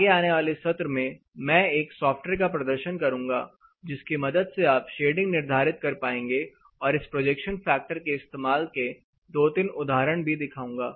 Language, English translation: Hindi, What I will do in the subsequence section, I will demonstrate software with which you can determine the shading and one or two worked examples using this projection factors as well